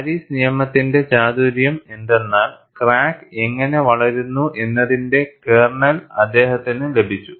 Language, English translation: Malayalam, The ingenuity of Paris law was he got the kernel of how the crack grows